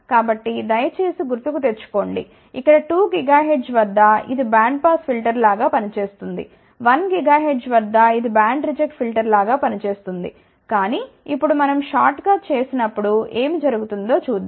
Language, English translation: Telugu, So, please recall here around 2 gigahertz it is acting like a band pass filter, around one gigahertz it is acting like a band reject filter , but now when we do the short let us see what happens